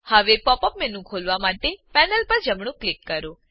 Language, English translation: Gujarati, Now, right click on the panel, to open the Pop up menu